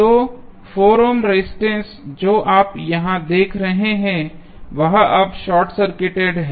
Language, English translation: Hindi, So, the 4 ohm resistance which you see here is now short circuited